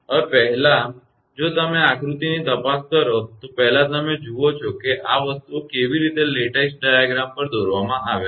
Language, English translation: Gujarati, Now, first if you look into this diagram first you see how things are lattice diagram is drawn